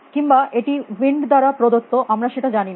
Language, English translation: Bengali, Or maybe it is a wind provided do not know